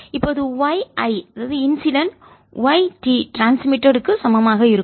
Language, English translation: Tamil, i have: y incident plus y reflected is equal to y transmitted